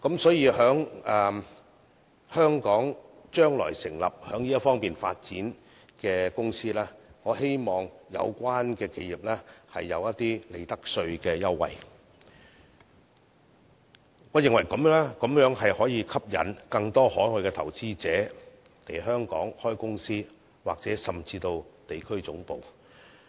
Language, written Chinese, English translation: Cantonese, 所以，對於將來在香港成立發展這方面的公司，我希望有關企業能享有利得稅務優惠，我認為此舉可吸引更多海外投資者來港開設公司或甚至地區總部。, Therefore I hope that there will be profits tax concessions for those enterprises which will set up companies in Hong Kong for such development in the future as I think this will attract more overseas investors to set up companies or even regional headquarters in Hong Kong